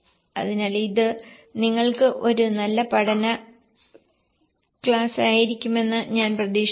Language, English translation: Malayalam, So, I hope it was a good learning case for you